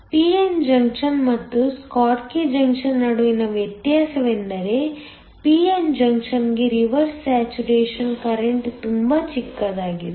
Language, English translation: Kannada, The difference between a p n junction and a schottky junction is that the reverse saturation current for a p n junction is much smaller